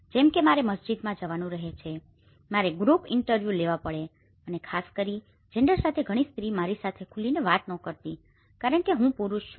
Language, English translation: Gujarati, Like I have to visit in the mosques, I have to take the group interviews and especially, with gender many of the women doesn’t open up to me because I am a male person